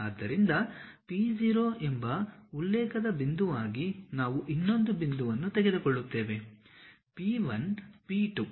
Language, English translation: Kannada, So, as a reference point P0 we will take other point is P 1, P 2